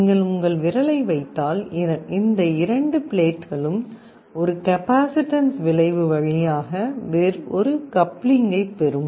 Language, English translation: Tamil, If you put your finger, these two plates will get a coupling via a capacitive effect